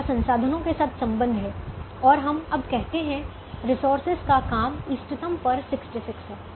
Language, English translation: Hindi, it has to do with the resources and we now say that the work of the resources is sixty six at the optimum